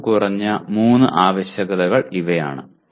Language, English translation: Malayalam, These are the minimum three requirements